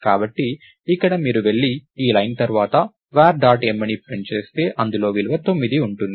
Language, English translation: Telugu, So, here if you go and print var dot m after this line, this would have the value 9 right